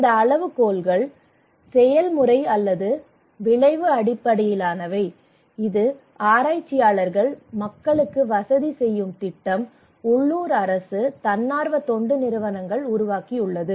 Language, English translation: Tamil, But these criterias either process or outcome based developed by researchers, project facilitators, local government, NGOs